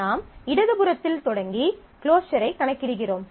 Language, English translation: Tamil, So, we start with the left hand side and compute the closure